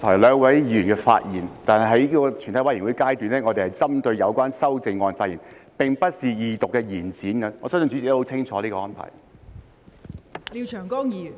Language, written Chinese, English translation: Cantonese, 關於剛才兩位議員的發言，在全體委員會審議階段，我們是針對修正案發言，並不是二讀辯論的延展，我相信代理主席也很清楚這個安排。, Regarding the speeches made by the two Members just now we should speak on the amendments during the Committee stage . This is not an extension of the Second Reading debate . I believe the Deputy Chairman is well aware of this arrangement